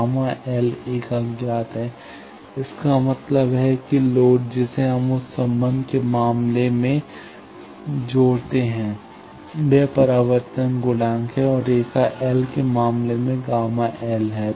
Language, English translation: Hindi, Gamma L is an unknown; that means, a load that we are connected in case of that reflect connection it is reflection coefficient and in case of line the gamma l